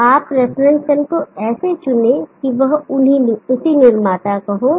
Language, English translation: Hindi, So you choose the reference cell such that it is from the same manufacturer